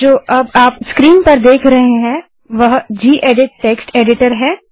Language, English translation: Hindi, So what you see right now on screen is the gedit Text Editor